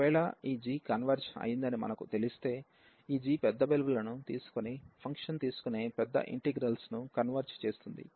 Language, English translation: Telugu, And in that case if we know that this g converges, this g converges the larger integral which is taking the function taking large values